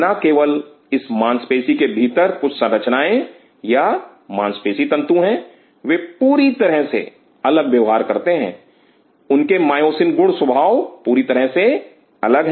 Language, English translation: Hindi, There not only that within this muscle there are certain structures or muscle spindle, they behave entirely differently their myosin properties are entirely different